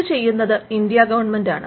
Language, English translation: Malayalam, This is done by the Government of India